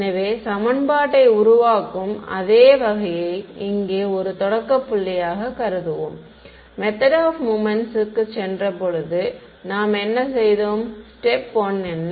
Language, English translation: Tamil, So, we will assume the same sort of formulating equation over here as a starting point, what did we do when we went to the method of moments, what was sort of step 1